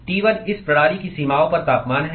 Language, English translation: Hindi, T1 is the temperature at the boundaries of this system